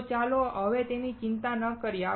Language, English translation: Gujarati, So, let us not worry about it now